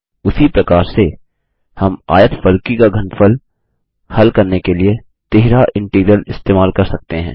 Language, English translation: Hindi, Similarly, we can also use a triple integral to find the volume of a cuboid